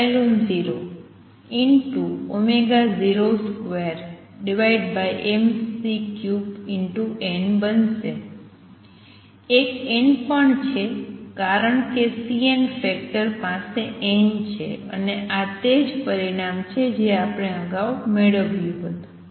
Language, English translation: Gujarati, There is an n also because the C n factor has n and this is precisely the answer we had obtained earlier